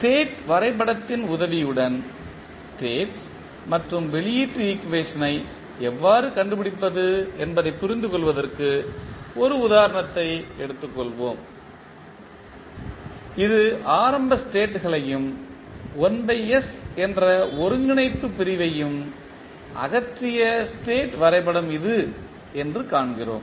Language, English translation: Tamil, Let us, take one example so that we can understand how we can find out the state and output equation with the help of state diagram, let us see this is the state diagram where we have removed the initial states as well as the 1 by s that is the integrator section